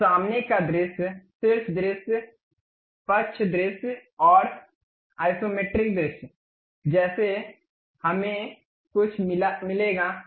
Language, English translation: Hindi, So, something like front view, top view, side view and isometric view we will get